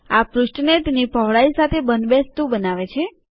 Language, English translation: Gujarati, This fits the page to its width